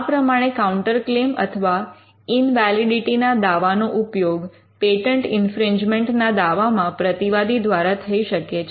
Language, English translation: Gujarati, So, a counterclaim or the defense of invalidity can be raised in a patent infringement suit by the defendant